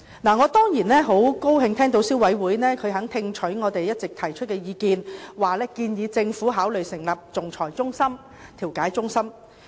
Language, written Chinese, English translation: Cantonese, 我當然樂見消委會肯聽取我們的意見，向政府建議成立仲裁和調解中心。, Of course I am pleased to learn that CC taking on board our advice has suggested that the Government should set up an arbitration and mediation centre